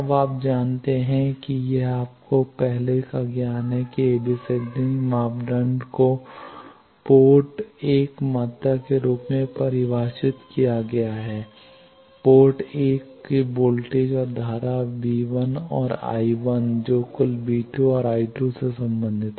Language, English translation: Hindi, Now, you know that this is your earlier knowledge that ABCD parameters are defined as the port 1 quantities port 1 voltage and current V 1 and I 1 total that is related to V 2 and I 2